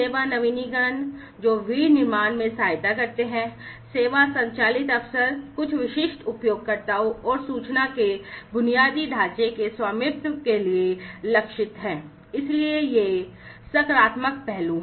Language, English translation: Hindi, The service innovations which aid in the manufacturing; service driven opportunities targeted at serving certain end users and the information infrastructure ownership; so, these are the positive aspects